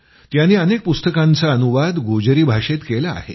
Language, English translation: Marathi, He has translated many books into Gojri language